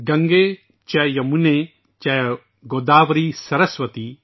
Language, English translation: Urdu, Gange cha yamune chaiva Godavari saraswati